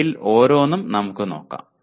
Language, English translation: Malayalam, Let us look at each one of them